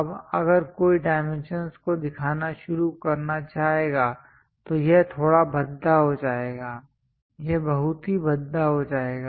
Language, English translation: Hindi, Now, if someone would like to start showing the dimensions it becomes bit clumsy, it becomes very clumsy